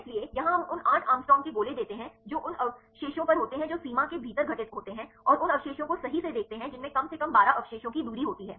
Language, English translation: Hindi, So, here we give the sphere of a eight angstrom look at the residues which are occurring within the limit and see the residues right which are having the distance of at least 12 residues